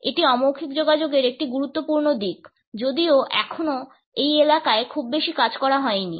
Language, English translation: Bengali, It is a vital aspect of non verbal communication though still not much work has been done in this area